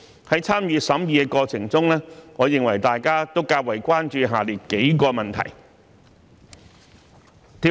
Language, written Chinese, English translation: Cantonese, 在參與審議的過程中，我認為大家都較為關注下列數個問題。, During the scrutiny members were noted to have the following major concerns